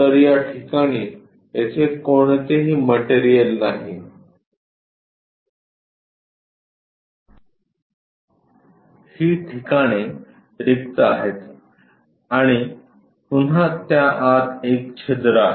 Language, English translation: Marathi, So, there is no material here at this locations is completely empty and again we have a hole inside of that